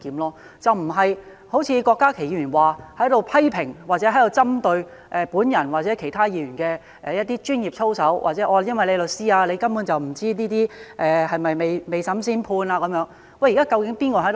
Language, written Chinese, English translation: Cantonese, 而不是像郭家麒議員，批評或針對我或其他議員的專業操守，或說因為我是律師，根本就不知道這些是否未審先判等。, That will be unlike Dr KWOK Ka - ki who merely criticized or picked on me or other Members about our professional ethics or said that I am a lawyer but I basically do not know whether we are making a judgment before trial